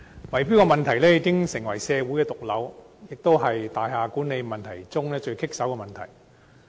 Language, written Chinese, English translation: Cantonese, 圍標問題已成為社會的毒瘤，也是大廈管理中最棘手的問題。, Bid - rigging has turned into a malignant tumour in society and the most thorny problem in building management